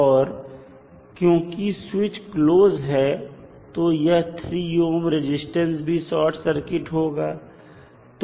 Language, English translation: Hindi, And since switch was closed this 3 ohm resistance is also short circuited